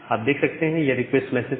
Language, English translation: Hindi, So, that was the request message